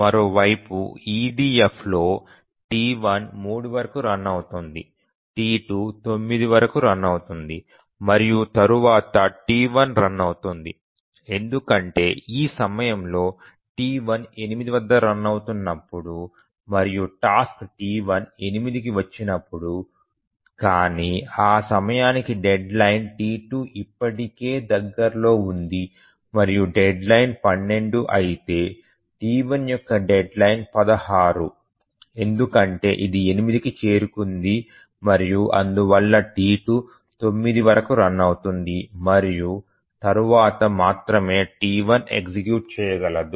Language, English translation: Telugu, Because at this point when T1 is running and at 8, the task T1 arrived at 8 but by that time the deadline for T1 is sorry T2 is near already so its deadline is 12 whereas the deadline for T1 is 16 because it arrived at 8 and therefore T2 will run here till 9 and then only T1 can run